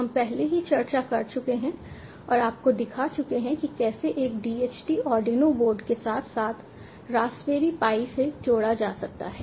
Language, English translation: Hindi, so we have already discussed and showed do the demos of how a dht is connected to arduino board as well as the raspberry pi